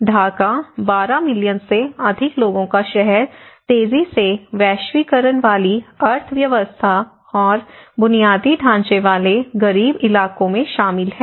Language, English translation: Hindi, Dhaka, the city of more than 12 million people is encompassing both rapidly globalizing economy and infrastructurally poor neighbourhoods